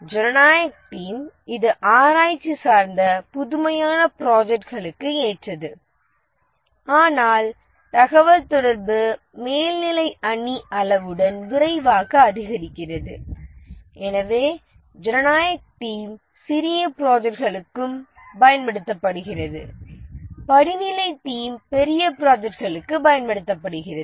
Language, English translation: Tamil, The democratic team is suitable for research oriented, innovative projects, but the communication overhead increases rapidly with team size and therefore democratic team is also used for small projects